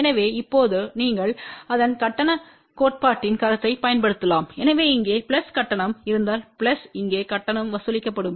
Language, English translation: Tamil, So, now you can apply its concept of the charge theory, so if there is a plus charge here plus charge here